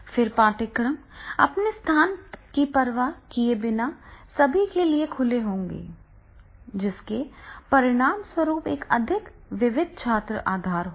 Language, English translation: Hindi, Then open courses for all interest rate regardless of location resulting in a more diverse student base